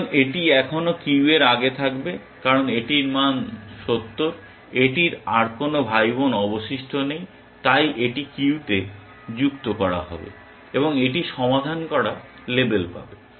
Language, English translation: Bengali, So, this would still be at the ahead of the queue because it has its value 70, it has no more siblings left so, this will get added to the queue and this will be get label solved